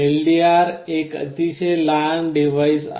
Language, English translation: Marathi, LDR is a very small device